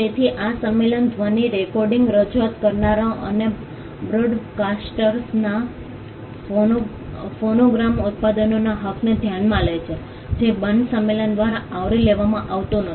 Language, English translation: Gujarati, So, this convention considered the rights of phonogram producers of sound recordings performers and broadcasters which was not covered by the Berne convention